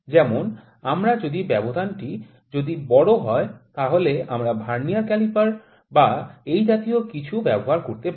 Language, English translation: Bengali, Like, we can just use if the gap is larger we can use Vernier caliper or certain methods could be there